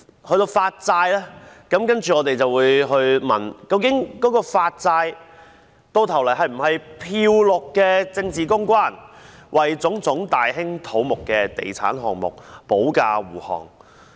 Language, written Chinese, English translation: Cantonese, 對於發債，我們便會問，究竟發債最後是否"漂綠"的政治公關，為種種大興土木的地產項目保駕護航？, Regarding the issuance of bonds we have to ask whether this act would ultimately become a greenwashing political public relations tactic to safeguard various large - scale property development projects